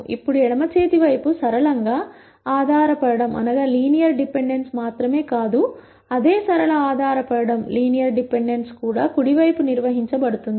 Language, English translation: Telugu, Now not only is the left hand side linearly dependent, the same linear dependence is also maintained on the right hand side